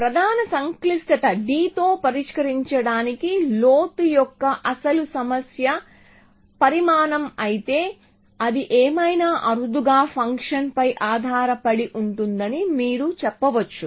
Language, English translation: Telugu, So, you can say that if the original problem of depth could be sized solved with prime complexity d whatever d is, it depends on the function rarely